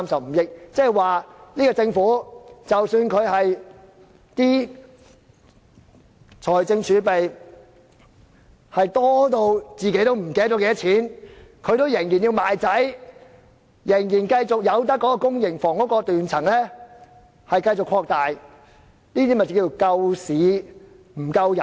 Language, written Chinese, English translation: Cantonese, 換言之，即使政府的財政儲備龐大得連司長也記不起多少，他仍然要賣掉兒子，繼續讓公營房屋的斷層擴大，即所謂"救市不救人"。, In other words though the fiscal reserve of the Government is so large that even the Financial Secretary cannot remember the actual amount he insists on selling his sons to allow the gap in public housing supply to widen . This is the so - called saving the market at the expense of peoples lives scenario